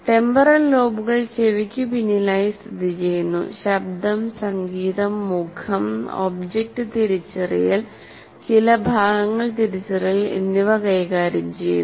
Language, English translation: Malayalam, Temporal lobes are located behind the ears and deal with sound, music, face and object recognition and some parts of the long term memory